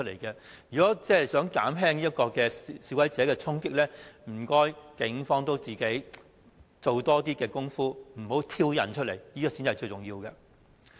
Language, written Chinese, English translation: Cantonese, 如果想減少示威者衝擊的行為，請警方也多做工夫，不要挑釁他們，這才是最重要的。, In order to minimize the violent charging actions of demonstrators the Police have to devote more efforts to avoid provoking them . This is most important